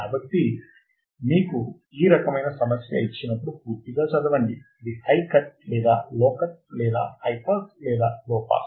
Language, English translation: Telugu, So, when you are given this kind of problem just read it thoroughly, if it is this high cut or is it low cut or is it high pass or is it low pass